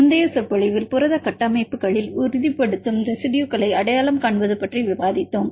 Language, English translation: Tamil, In the previous lecture we discussed about identifying the stabilizing residues in protein structures